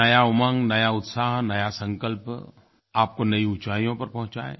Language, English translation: Hindi, I hope that new zeal, new excitement and new pledges may take you to new heights